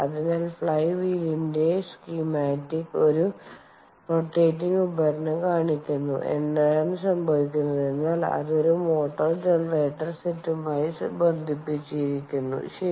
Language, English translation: Malayalam, so, flywheel over here, as the schematic is showing, its a rotating device, and what is happening is it is connected to a motor generator set